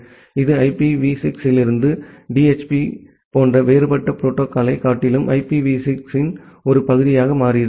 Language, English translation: Tamil, And that became a part of the IPv6, rather than having a different protocol like a DHCP which was there in IPv6